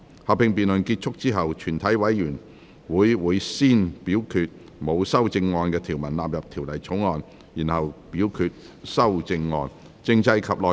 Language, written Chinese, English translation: Cantonese, 合併辯論結束後，全體委員會會先表決沒有修正案的條文納入《條例草案》，然後表決修正案。, Upon the conclusion of the joint debate the committee will first vote on the clauses with no amendment standing part of the Bill and then the amendments